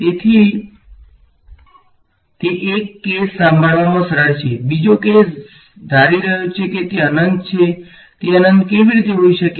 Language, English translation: Gujarati, So, that is one case easy to handle, the other case is supposing it is infinite how can it be infinite